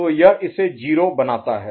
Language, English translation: Hindi, So this makes it 0